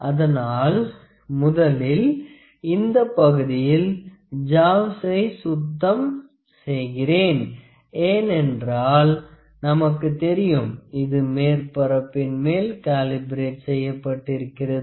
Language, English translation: Tamil, So, the first part is I have to clean the jaws from this part because you know it is calibrated based upon this surface